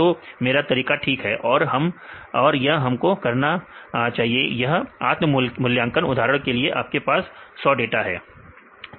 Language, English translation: Hindi, So, my method is fine; this is what we do, this self assessment for example, you have 100 data